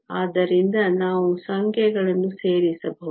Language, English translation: Kannada, So, we can just plug in the numbers